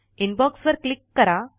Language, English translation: Marathi, click on Inbox